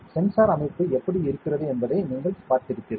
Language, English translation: Tamil, So, you have seen how the sensor structure is